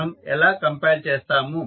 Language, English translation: Telugu, How we will compile